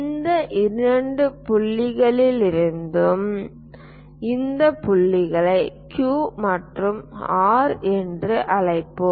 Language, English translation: Tamil, From these two points let us call these points Q, this is R let us call R and this point as Q